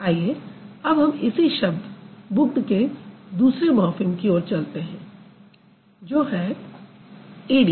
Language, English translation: Hindi, Now let's go to the second morphem in the same word that is booked E